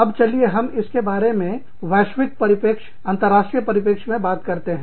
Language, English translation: Hindi, Now, let us talk about this, from a global perspective, from an international perspective